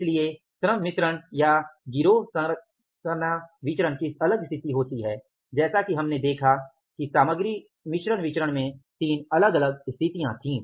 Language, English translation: Hindi, So, labor gang composition variance or the labor mix variance has a different situation as in case of the material mixed variances we saw there were the three different situations